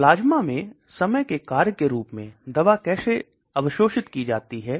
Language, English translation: Hindi, How the drug is absorbed as the function of time into the plasma